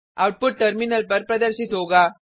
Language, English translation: Hindi, The output is as displayed on the terminal